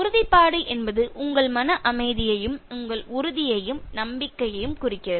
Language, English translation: Tamil, Assertiveness indicates your calmness of mind and your surety, confidence